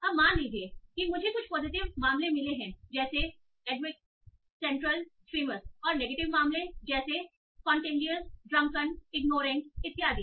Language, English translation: Hindi, Now, so suppose I got some positive cases adequate, central, clever, famous, and negative cases like contagious, drunken, ignorant, and so on